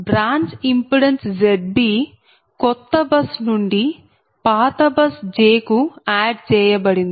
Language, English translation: Telugu, that branch impedance z b, z b is added from a new bus, k to the old bus j